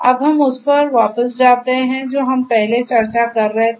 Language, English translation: Hindi, Now, let us go back to what we were discussing earlier